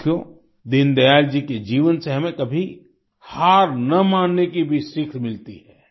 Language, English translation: Hindi, from the life of Deen Dayal ji, we also get a lesson to never give up